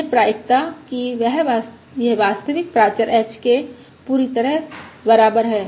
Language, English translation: Hindi, The probability that it is exactly equal to the true parameter h is 0